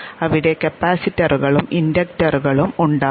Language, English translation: Malayalam, There will be capacitors and there will be inductors